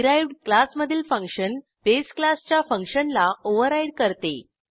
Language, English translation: Marathi, The derived class function overrides the base class function